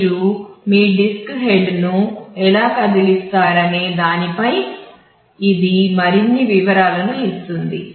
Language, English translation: Telugu, This is the more details in terms of how you move your disk head